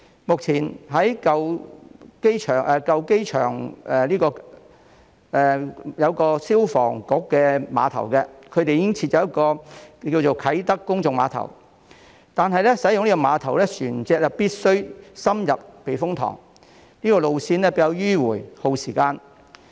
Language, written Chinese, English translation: Cantonese, 目前舊機場的消防局附近已經設有啟德公眾碼頭，但使用這個碼頭的船隻必須深入避風塘，路線比較迂迴耗時。, Despite the existing Kai Tak Public Pier near the former airport fire station vessels using this pier must reach the interior of the typhoon shelter by taking a relatively circuitous and time - consuming route